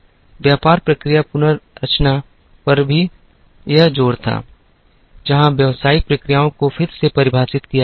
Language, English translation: Hindi, There was also this emphasis on business process reengineering, where the business processes were reengineered